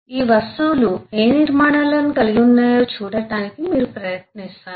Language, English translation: Telugu, you try to see what structures these objects may have